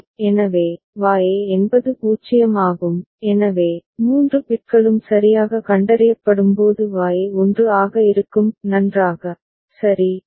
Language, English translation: Tamil, So, Y is 0, so, Y will be 1 when all the three bits are detected properly fine, ok